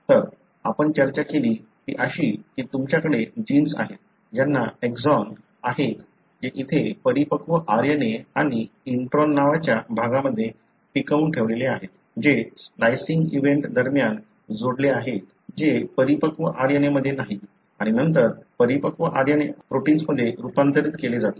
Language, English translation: Marathi, So, what we discussed was that you have genes, which have got exons which are retained here in the matured RNA and regions called introns, which are spliced out during the splicing event which are not present in the matured RNA and then the matured RNA is translated into protein